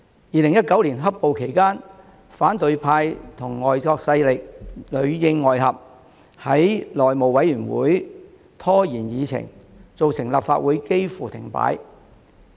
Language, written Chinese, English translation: Cantonese, 2019年"黑暴"期間，反對派與外國勢力裏應外合，在內務委員會拖延議程，造成立法會幾乎停擺。, During the 2019 black - clad violence period the opposition worked as an agent in cahoots with foreign forces to stall the agenda of the House Committee and thus almost ground the Legislative Council to a halt